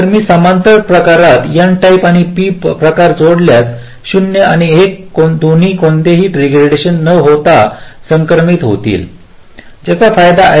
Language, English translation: Marathi, so if i connect an n type and p type in parallel, then both zero and one will be transmitted without any degradation